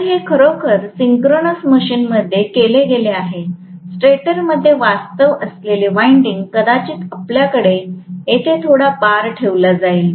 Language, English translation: Marathi, So, it is really done in a synchronous machine, the winding what is actually residing in the stator, maybe you will have a few bar kept here